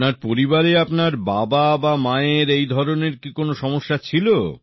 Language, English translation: Bengali, In your family, earlier did your father or mother have such a thing